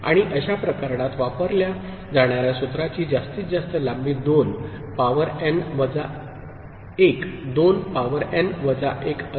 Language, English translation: Marathi, And the formula that is used for such case is the maximum length that is possible is 2 to the power n minus 1, 2 to the power n minus 1